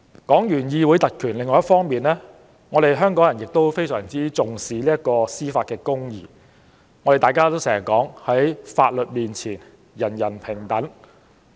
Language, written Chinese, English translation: Cantonese, 另一方面，香港人非常重視司法公義，大家經常說："在法律面前，人人平等"。, On the other hand Hong Kong people attach great importance to judicial justice . As the common saying goes everyone is equal before the law